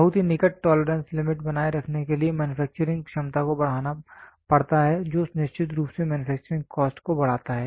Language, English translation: Hindi, In order to maintain very close tolerance limit manufacturing capability has to be enhanced which certainly increases the manufacturing cost